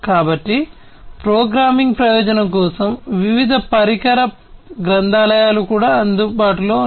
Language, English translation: Telugu, So, different device libraries are also available for the programming purpose